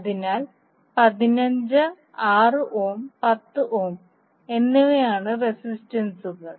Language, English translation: Malayalam, So 15, 6 ohm and 10 ohm are the resistors